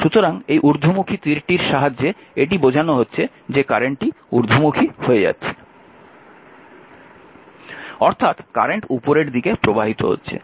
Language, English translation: Bengali, So, this arrow this is your what you call that arrow upward means the current is leaving upward I mean current is moving flowing upward